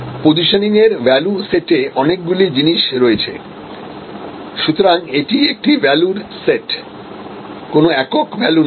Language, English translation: Bengali, There are number of things with in that positioning set of values, so it is a set of values not one single value